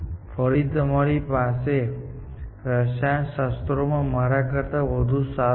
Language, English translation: Gujarati, Essentially, again since, you are better at chemistry than I am